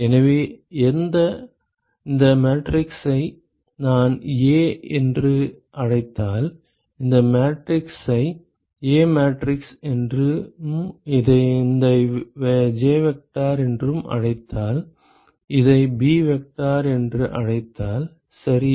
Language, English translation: Tamil, So, let us just quickly so if I call this matrix as A ok, if I call this matrix as A matrix and if I call this as J vector, and if I call this as b vector ok